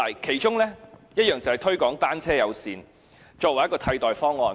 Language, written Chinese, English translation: Cantonese, 其中一項措施就是推廣單車友善政策，作為一個替代方案。, One of the many measures was to promote a bicycle - friendly policy as a substitute scheme